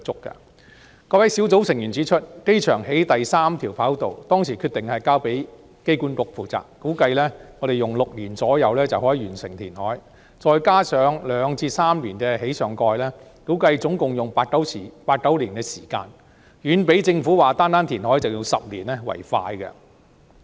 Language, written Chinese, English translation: Cantonese, 該位專責小組成員指出，機場興建第三條跑道時決定交由香港機場管理局負責，估計用約6年時間就可以完成填海，再加上2至3年興建上蓋，估計共花八九年時間，遠較政府說單單填海就要10年為快。, That member of the Task Force points out that in the case of the construction of the third runway taken up by the Hong Kong Airport Authority AA the reclamation is expected to take about six years plus two to three years for the construction of the superstructure . It is estimated that the project will take eight to nine years in total to complete far shorter than the Governments projection of 10 years merely for reclamation